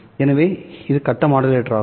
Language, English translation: Tamil, It is just a modulator